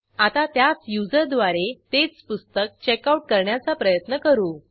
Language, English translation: Marathi, Now, Let us now try to checkout the same book by the same user